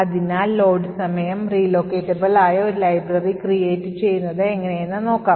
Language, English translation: Malayalam, So, let us start with load time relocatable and let us say that we want to create a library like this